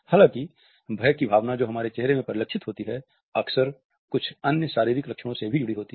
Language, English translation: Hindi, However, the sense of fear which is reflected in our face is often associated with certain other physical symptoms